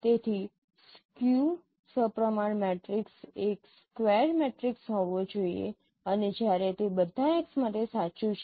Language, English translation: Gujarati, So, a skew symmetric matrix has to be a square matrix and when it is true for all x